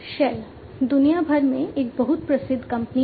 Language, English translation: Hindi, Shell is a very well known company worldwide